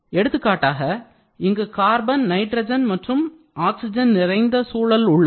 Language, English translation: Tamil, Say for example, you have carbon riched, you have nitrogen riched, you have oxygen riched atmosphere around